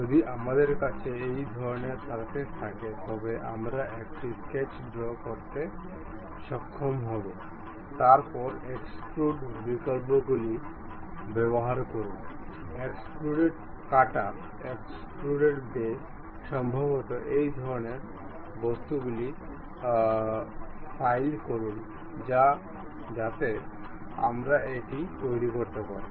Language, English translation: Bengali, If we have that kind of surfaces, we will be in a position to draw a sketch; then use extrude options, extrude cut, extrude boss, perhaps fillet this kind of objects we can really construct it